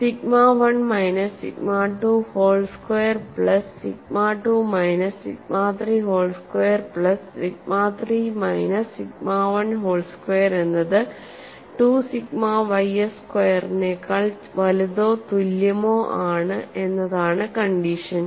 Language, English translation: Malayalam, The condition is sigma 1 minus sigma 2 whole square, plus sigma 2 minus sigma 3 whole square, plus sigma 3 minus sigma 1 whole square, greater than or equal to 2 sigma y s square